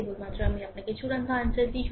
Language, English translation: Bengali, Only I give you the final answer